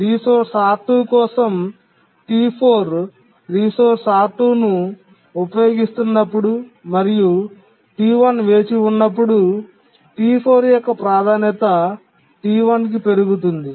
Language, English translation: Telugu, When T4 is using the resource R2 and T1 is waiting, T4's priority gets increased to that of T1